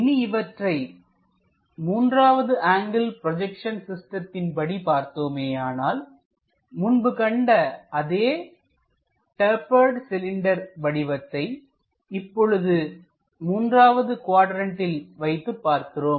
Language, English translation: Tamil, If we are looking at that in the 3rd angle projection systems, the same cylindrical object in the 3rd quadrant we are placing